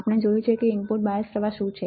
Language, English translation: Gujarati, We have seen in the lectures what are input bias current